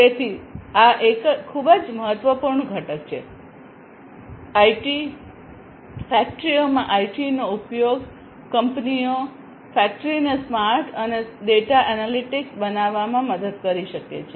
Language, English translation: Gujarati, So, this is a very important component, IT, use of IT in the factories can help in making the companies the factory smart and also the data analytics